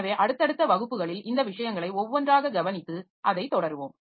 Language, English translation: Tamil, So, in successive classes so we'll be looking into this thing one by one and continue with that